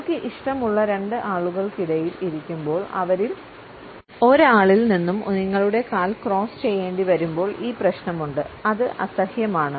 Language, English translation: Malayalam, And then there is the issue where you are sitting between two people that you are comfortable with and you have to cross your leg away from one of them; that is awkward